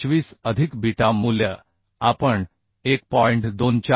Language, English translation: Marathi, 25 plus beta value we have calculated as 1